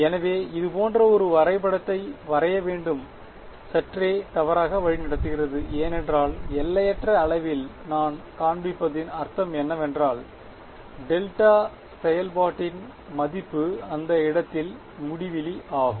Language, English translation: Tamil, So, to draw a diagram like this is slightly misleading because what is it mean to show in infinite I mean, the value of the delta function is infinity at that point